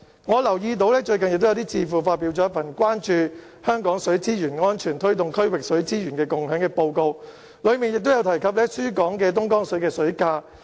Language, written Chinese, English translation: Cantonese, 我留意到最近有智庫發表了名為《水沛蜃樓——關注香港水資源安全推動區域水資源共享》的報告，當中提到輸港的東江水水價。, I have noticed that the price of Dongjiang water supplied to Hong Kong is mentioned in the report entitled The Illusion of Plenty Hong Kongs Water Security Working towards Regional Water Harmony published recently by a think tank